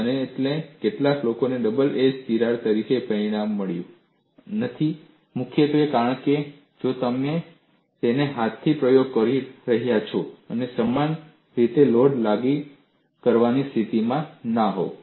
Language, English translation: Gujarati, And some people have not got the result as double edge crack mainly because you know, you are doing the experiment with hand and you may not be in a position to apply the load uniformly